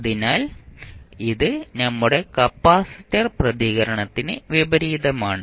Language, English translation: Malayalam, So, this is just opposite to our response capacitor response